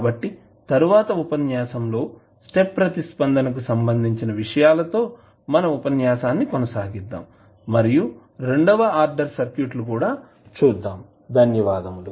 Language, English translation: Telugu, So, in the next lecture we will continue our lecture related to step response and we will also see the second order circuits also